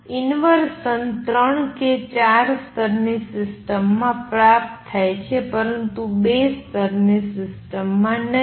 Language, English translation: Gujarati, Three inversion is achievable in three or four level systems, but not in a two level system